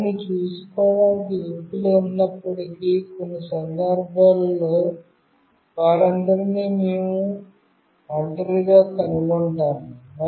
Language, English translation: Telugu, Even if there are people to look after them, but might be in certain situations, we find them all alone